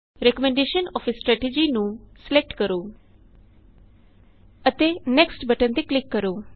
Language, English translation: Punjabi, Select Recommendation of a strategy and click on the Next button